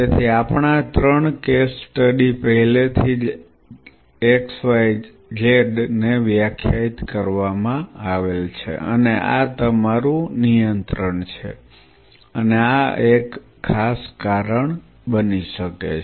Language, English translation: Gujarati, So, our three cases studies are already defined x y z and this is your control, and this one this particular one this one could be a something which causes